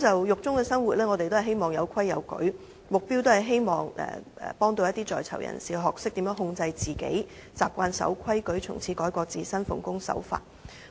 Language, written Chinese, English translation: Cantonese, 獄中生活要有秩序，是希望幫助在獄人士學懂控制自己，習慣遵守規矩，從此改過自新，奉公守法。, Living a disciplined life in prisons PICs are expected to learn self - restraint and get used to complying with rules so that they can turn over a new leaf and abide by the law in the future